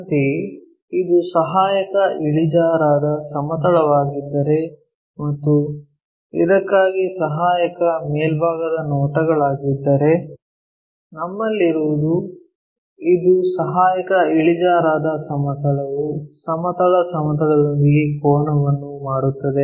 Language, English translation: Kannada, Similarly, if it is auxiliary inclined plane and auxiliary top views for that what we have is this is auxiliary inclined plane makes an angle with the horizontal plane